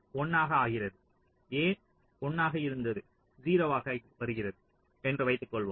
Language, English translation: Tamil, a was zero, a is becoming a was one, it is becoming zero